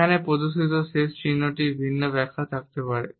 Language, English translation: Bengali, The last sign which is displayed over here also may have different interpretations